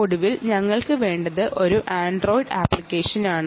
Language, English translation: Malayalam, finally, what you also need is an android app, right